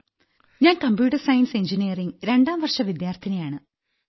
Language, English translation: Malayalam, I am a second year student of Computer Science Engineering